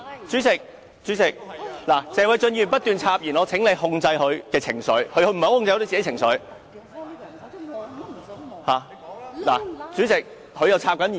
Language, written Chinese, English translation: Cantonese, 主席，謝偉俊議員不斷插言，我請你控制他的情緒，他不太能夠控制自己的情緒。, President Mr Paul TSE has kept interrupting will you please control his emotion as he cannot exercise self - control